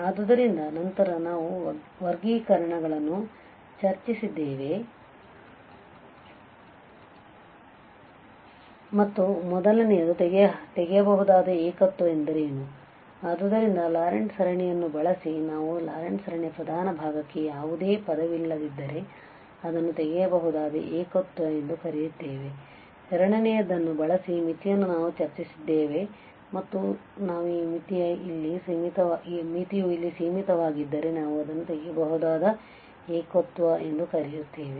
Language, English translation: Kannada, So, then we have discussed the classification and the first was what is the removable singularity, so using the Laurent series we have observed that if the principal part of the Laurent series has no term then we call it as removable singularity, the second using the limit we have discussed and their we discussed that if this limit here exist finitely then also we call it as removable singularity